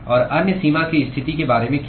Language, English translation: Hindi, And what about the other boundary condition